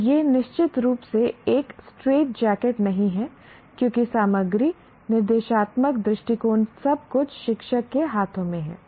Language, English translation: Hindi, And it is certainly not a straight jacket because the content, the instructional approaches, assessment, everything is in the hands of the teacher